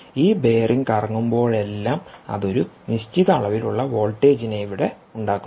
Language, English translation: Malayalam, every time this bearing rotates, it induces a certain amount of voltage here, so there is a certain amount of power drawn